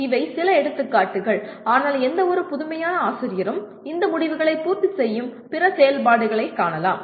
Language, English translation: Tamil, These are some examples, but any innovative teacher can find activities that would meet these outcomes